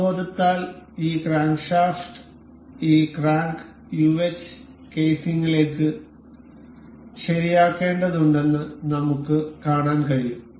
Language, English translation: Malayalam, And by intuition, we can see that this crankshaft is supposed to be fixed into this crank uh casing